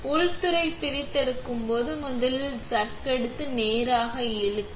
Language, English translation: Tamil, When disassembling the inlet set first take off the chuck, pull straight up